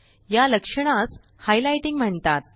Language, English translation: Marathi, This feature is called highlighting